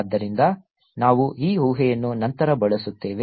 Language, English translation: Kannada, so we will use this assumption later on